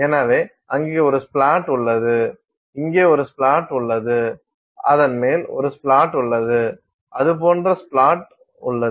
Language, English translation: Tamil, So, you have a splat there, you have a splat here, you have a splat on top of it, we have a splat like that that and so on